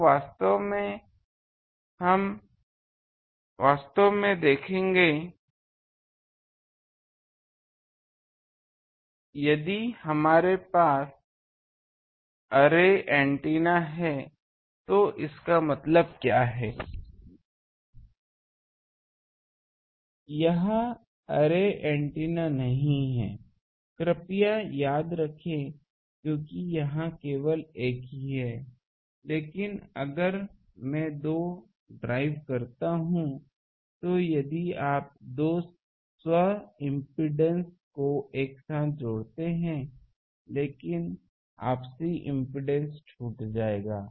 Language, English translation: Hindi, So, actually will see that if you have, array antenna means what, this is not an array antenna please remember because here am driving only one, but if I drive two, then the if you combine a self impedance, two self impedance together, but the mutual impedance will be left